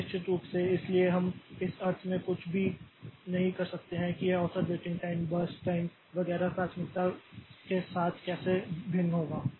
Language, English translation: Hindi, Now, this of course, so we cannot say anything in the sense that how this average waiting time will vary with priority birth time etc